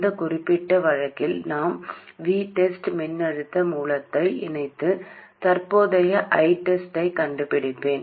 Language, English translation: Tamil, And in this particular case, I will connect a voltage source v test and find the current I test